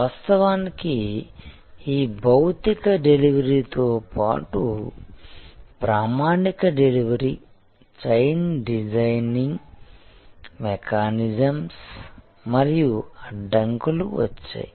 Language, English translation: Telugu, And of course, therefore along with this physical delivery came with the normal delivery chain designing mechanisms and constraints